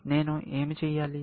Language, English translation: Telugu, What should I do